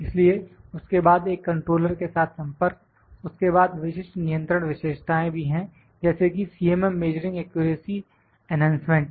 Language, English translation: Hindi, So, then, a communication with a controller then, special control feature also there like CMM measuring accuracy enhancement